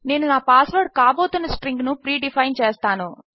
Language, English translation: Telugu, Ill start by predefining a string thats going to be my password